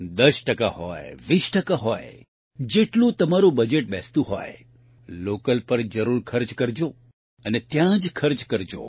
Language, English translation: Gujarati, Be it ten percent, twenty percent, as much as your budget allows, you should spend it on local and spend it only there